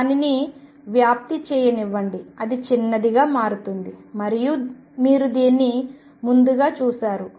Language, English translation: Telugu, If let it spread it tends to become smaller and you seen this earlier